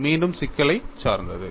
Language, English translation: Tamil, That is again problem dependent